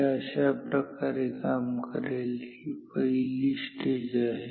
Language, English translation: Marathi, This is how it will work ok, this is stage 1